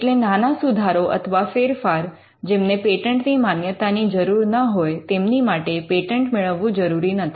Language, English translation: Gujarati, So, small improvements or small changes, which do not merit a patent grant need not be patented